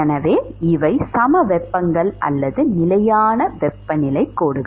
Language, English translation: Tamil, So, these are the isotherms or constant temperature lines